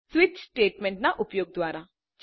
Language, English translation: Gujarati, By using switch statement